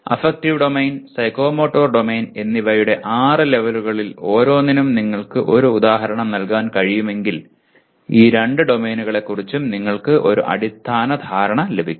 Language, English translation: Malayalam, If you are able to give one example for each one of the six levels of Affective Domain and Psychomotor Domain possibly you would have got a basic understanding of these two domains